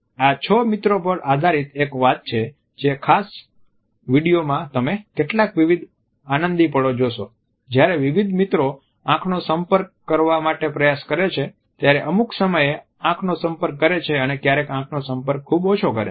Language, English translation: Gujarati, This is a story which is based on six friends and in this particular clipping you can look at some various hilarious moments when different friends try to incorporate eye contact sometimes too much eye contact and sometimes very little eye contact